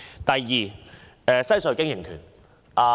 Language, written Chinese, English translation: Cantonese, 第二，西隧經營權。, Secondly the franchise of WHC